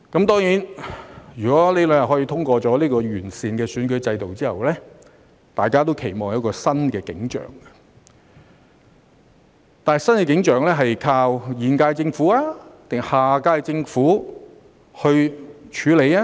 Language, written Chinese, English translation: Cantonese, 當然，如果這兩天可以通過這項完善選舉制度的法案後，大家都期望有一個新景象，但新景象是要靠現屆政府還是下屆政府來處理呢？, Of course we all expect to see a new scenario if this Bill to improve the electoral system can be passed in these two days . But then will this new scenario be handled by the current - term Government or the next - term?